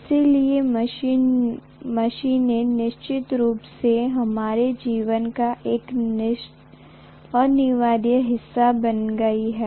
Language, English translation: Hindi, So machines have become definitely an essential part of our life